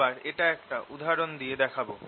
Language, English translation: Bengali, again, will show it through an example